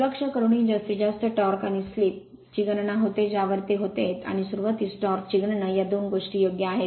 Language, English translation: Marathi, Even neglecting calculates the maximum torque and the slip at which it would occur and calculate the starting torque these two things right